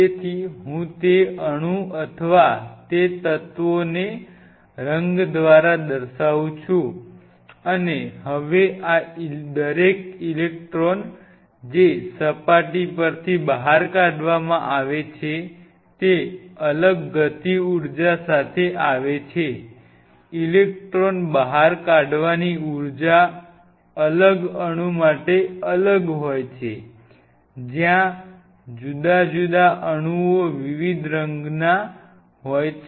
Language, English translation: Gujarati, So, I am representing them by the respective colors of that atom or of that element and now each one of these electrons which are ejected out from the surface are coming with a different kinetic energy, the energy of emitting an electron is different from different atom, where the different atoms are of the different colours